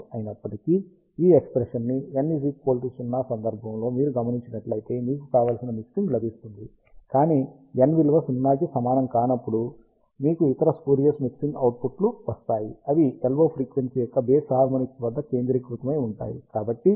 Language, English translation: Telugu, However, if you notice this expression for n equal to 0, you get the desired mixing, but for n not equal to 0, you have other spurious mixing products, which are nothing but centered at odd harmonics of the LO frequency